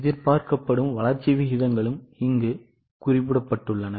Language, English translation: Tamil, Expected growth rates are also mentioned